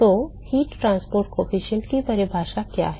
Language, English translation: Hindi, So, what is the definition of heat transport coefficient